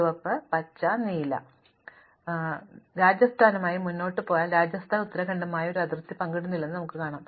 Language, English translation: Malayalam, If we proceed to Rajasthan, we find that Rajasthan does not share a boundary with Uttrakhand